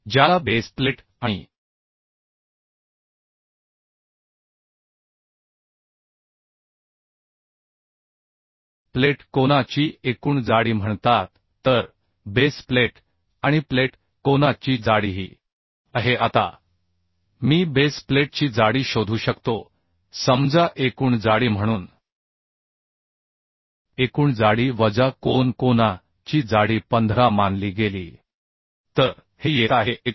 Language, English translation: Marathi, 2 millimetre which is called aggregate thickness of base plate and cleat angle So the thickness of base plate and cleat angle is this Now I can find out thickness of base plate say tb as aggregate thickness minus thickness of the angle angle thickness was considered as 15 so this is coming 21